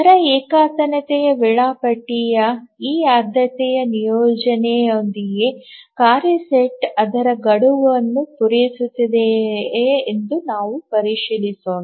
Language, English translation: Kannada, Now let's check whether with this priority assignment of the rate monotonic scheduling, the task set will meet its deadline